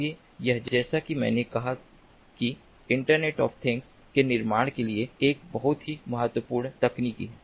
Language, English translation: Hindi, so this, as i said, is a very important technology for building of internet of things